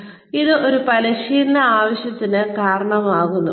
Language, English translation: Malayalam, And, that results in a training need